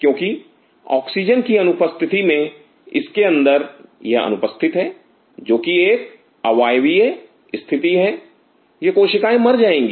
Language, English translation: Hindi, Because in the absence of oxygen in it is absence which is an Anaerobic situation these cells will die